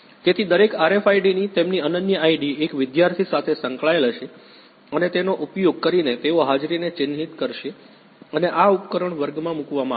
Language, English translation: Gujarati, So, each RFID their unique ID will be associated to one student and using this they will mark attendance and this device will be placed in the class